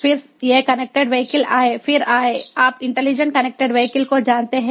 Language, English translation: Hindi, then came the, you know, intelligent connected vehicles